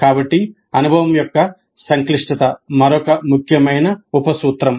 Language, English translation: Telugu, So the complexity of the experience is another important sub principle